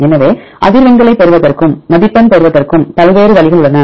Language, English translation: Tamil, So, there are various ways to get the frequencies as well as to get the score